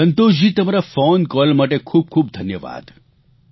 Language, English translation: Gujarati, Santoshji, many many thanks for your phone call